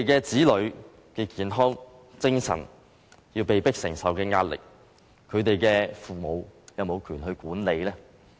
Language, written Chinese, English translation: Cantonese, 子女的健康，精神上被迫要承受壓力，父母有權管嗎？, Do parents have the right to stop something if it affects their childrens health and subjects them to emotional strain?